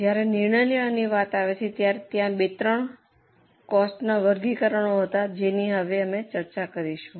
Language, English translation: Gujarati, When it comes to decision making, there were two, three cost classifications which are the ones which we are going to discuss now